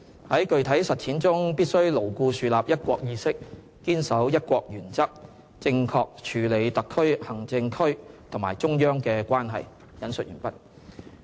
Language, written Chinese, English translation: Cantonese, 在具體實踐中，必須牢固樹立'一國'意識，堅守'一國'原則，正確處理特別行政區和中央的關係。, In conducting day - to - day affairs we must be guided by a strong sense of one country firmly observe the principle of one country and thus correctly handle the relationship between the HKSAR and the Central Government